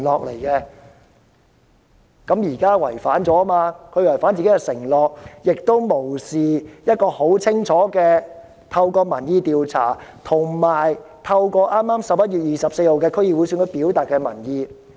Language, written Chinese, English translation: Cantonese, 現在她違反了自己的承諾，亦無視市民透過民意調查及剛於11月24日舉行的區議會選舉清楚表達的民意。, Now she has broken her own pledge . She also neglects the public opinions clearly expressed by the people through the opinion surveys and the District Council Election recently held on 24 November